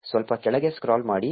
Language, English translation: Kannada, Scroll down a bit